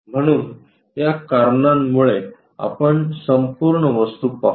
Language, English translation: Marathi, So, because of these reasons let us look at the complete object